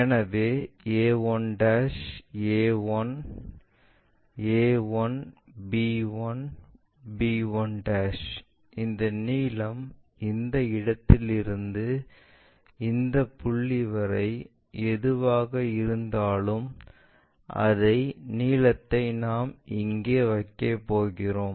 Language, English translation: Tamil, So, a 1', a 1, a 1, b 1, b 1' so, this length whatever from this point to this point that length the same length we are going to keep it here